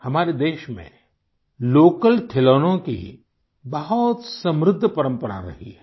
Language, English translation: Hindi, Friends, there has been a rich tradition of local toys in our country